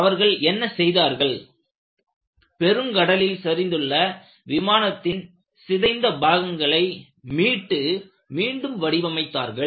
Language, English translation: Tamil, So, what they did was they salvagedwreckage from the ocean and they reconstructed the aircraft